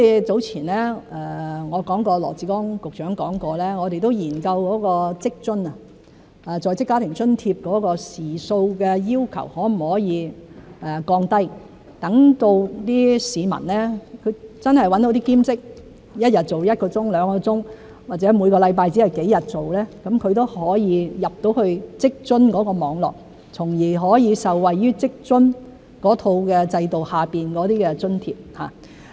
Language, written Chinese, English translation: Cantonese, 早前我提及羅致光局長曾說我們有研究在職家庭津貼時數的要求可否降低，讓市民找到兼職，一日做一兩個小時，或每星期做幾天，都可以進入職津網絡，從而可以受惠於職津制度下的津貼。, Some time ago I mentioned that according to Secretary Dr LAW Chi - kwong studies had been conducted on whether we can lower the requirement on working hours under the Working Family Allowance WFA Scheme so that people who have taken up part - time jobs and who work an hour or two a day or several days a week can still be covered by the network of WFA and can hence benefit from the allowance under the WFA system